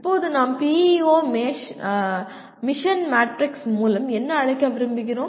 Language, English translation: Tamil, Now what do we want to call by PEO mission matrix